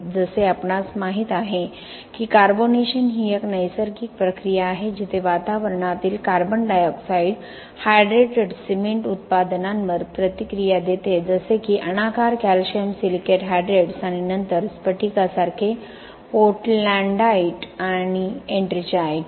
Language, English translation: Marathi, As you know carbonation is a natural process where the atmospheric carbon dioxide reacts with the hydrated cement products like amorphous calcium silicate hydrates and then crystalline portlandite and ettringite